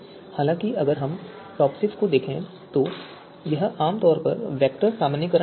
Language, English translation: Hindi, However, if we look at TOPSIS it usually the vector normalization